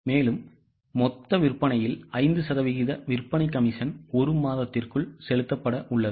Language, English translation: Tamil, So, sales commission at 5% on total sales is to be paid within a month